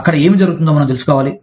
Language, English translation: Telugu, We need to know, what is happening, there